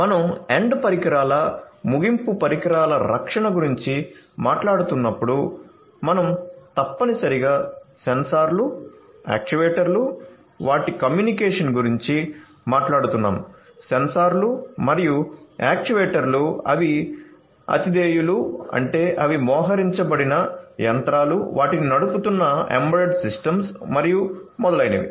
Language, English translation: Telugu, So, when we are talking about end devices protection of end devices we are talking about essentially sensors, actuators their communication the sensors and actuators they are hosts; that means, the machines where they are deployed, the embedded systems that are running them and so on